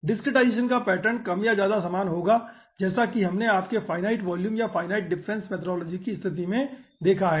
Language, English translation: Hindi, the discretization pattern will be more or less similar, as we have seen in case of your finite volume, of your finite difference methodology